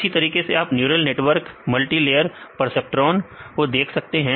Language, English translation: Hindi, Likewise, you can see the neural networks, multilayer preceptron